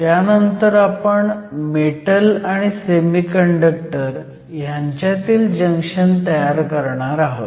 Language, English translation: Marathi, From there, we will form a junction between a Metal and a Semiconductor